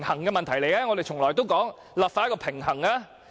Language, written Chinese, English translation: Cantonese, 我們從來都說立法要取得平衡。, We always insist that a proper balance should be struck when enacting legislation